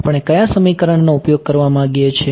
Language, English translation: Gujarati, What equation do we want to use